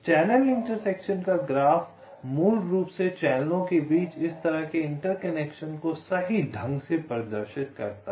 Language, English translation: Hindi, the channel intersection graph basically models this kind of intersection between the channels right